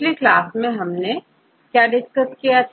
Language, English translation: Hindi, In the last class; what did we discuss